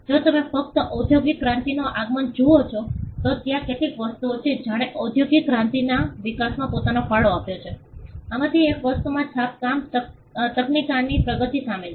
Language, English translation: Gujarati, If you just see the advent of industrial revolution, there are certain things that contributed to the growth of industrial revolution itself; one of the things include the advancement in printing technology